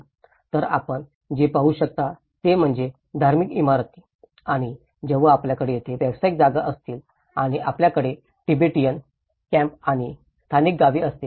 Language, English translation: Marathi, So what you can see is the religious buildings and when you have the commercial spaces here and you have the Tibetan camps and the local villages